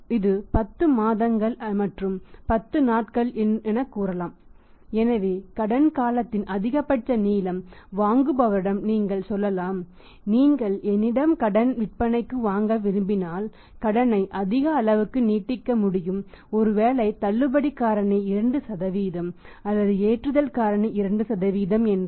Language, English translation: Tamil, It can be like say 10 month and 10 days so maximum length of credit period he can say to the buyer that if you want to buy from me on credit I can extend you the maximum credit if the discount factor is 2% or loading factor is 2%